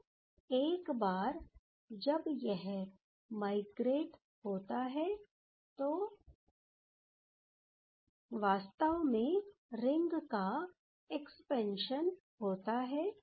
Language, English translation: Hindi, So, once this will do this migration, then actually the expansion of ring will happen